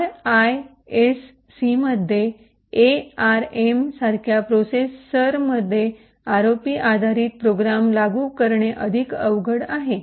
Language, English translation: Marathi, In RISC type of processors like ARM implementing ROP based programs is much more difficult